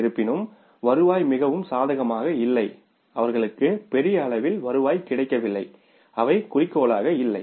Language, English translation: Tamil, Though the revenues are not very much favorable, they have not got the revenue to the larger extent they are not up to the mark